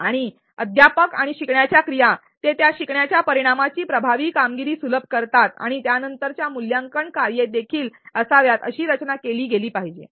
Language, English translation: Marathi, And also the teaching and learning activities should be designed such that they facilitate effective achievement of those learning outcomes and subsequent assessment tasks